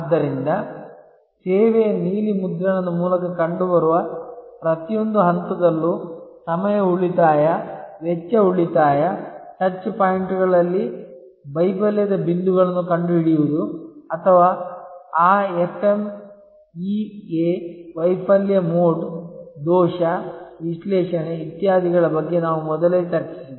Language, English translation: Kannada, So, time saving, cost saving at every stage found through the service blue print, finding the failure points at the touch points or failure possibilities we discussed about that FMEA Failure Mode Defect Analysis, etc earlier